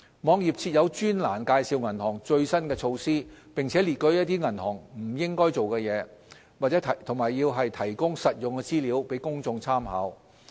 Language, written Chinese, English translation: Cantonese, 網頁設有專欄介紹銀行的最新措施，並列舉一些銀行不應做的事情，以及提供實用資料供公眾參考。, It also contains a Whats New section on the latest initiatives of banks and provides information on what banks should not do in addition to other useful tips for reference by the public